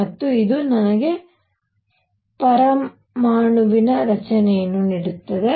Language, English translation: Kannada, And this would give me structure of atom